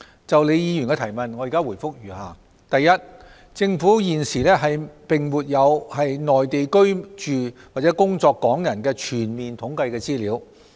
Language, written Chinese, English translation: Cantonese, 就李議員的質詢，我現答覆如下：一政府現時並沒有在內地居住或工作港人的全面統計資料。, My reply to Ms LEEs question is as follows 1 Currently the Government does not have comprehensive statistical information on Hong Kong people residing or working in the Mainland